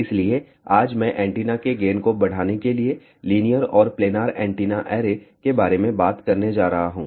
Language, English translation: Hindi, So, today I am going to talk about linear and planar antenna arrays to increase the gain of the antenna